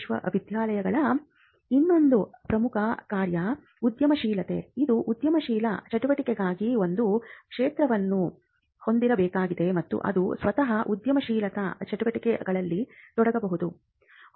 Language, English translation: Kannada, The new function that a university has to be entrepreneurial, it has to setup a field for entrepreneurial activity and it can itself engage in entrepreneurial activity